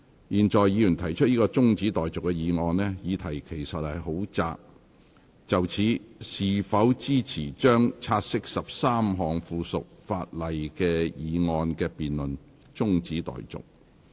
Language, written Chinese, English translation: Cantonese, 現在議員提出的中止待續議案，議題其實很窄，就是：是否支持將察悉13項附屬法例的議案的辯論中止待續。, The scope of the adjournment motion is actually quite narrow . That is whether or not this Council should adjourn the debate of the motion that this Council takes note of 13 items of subsidiary legislation